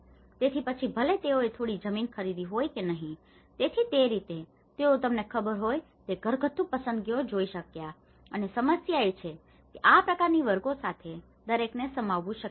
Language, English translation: Gujarati, So, whether they have procured some land or not, so in that way, they could able to see the household selections you know and but the problem is, with this kind of categories, itís not possible to accommodate everyone